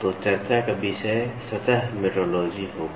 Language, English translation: Hindi, So, the topic of discussion will be Surface Metrology